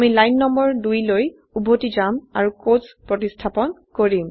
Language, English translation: Assamese, I will go back to line number 2 and replace the quotes